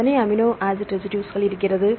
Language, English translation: Tamil, How many amino acid residues